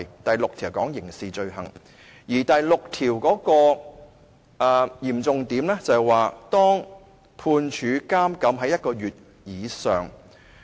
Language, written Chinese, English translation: Cantonese, 第六項是有關刑事罪行的，而第六項的嚴重之處是判處監禁1個月以上。, Article 796 deals with a criminal offence and the severity of the offence warrants a sentence of imprisonment for one month or more